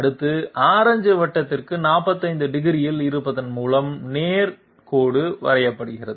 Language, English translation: Tamil, Next, this straight line is defined by being at 45 degrees to the orange circle